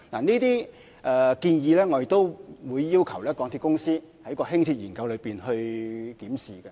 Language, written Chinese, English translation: Cantonese, 這些建議，我們亦會要求港鐵公司在進行輕鐵研究時檢視。, We will request MTRCL to examine these suggestions in its study of Light Rail